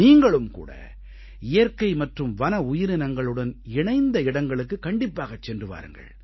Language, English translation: Tamil, You must also visit sites associated with nature and wild life and animals